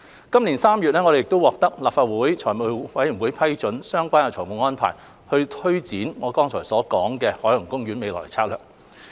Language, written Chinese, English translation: Cantonese, 今年3月，我們獲得立法會財務委員會批准相關的財務安排，推展我剛才提及的海洋公園未來策略。, In March this year we obtained the approval of FC for the relevant financial arrangements to take forward the future strategy for OP as I just mentioned